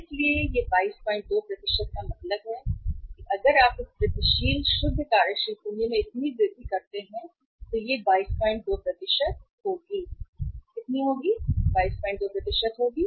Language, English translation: Hindi, 2% if you make the changes in this incremental net working capital so incremental net working capital will be 22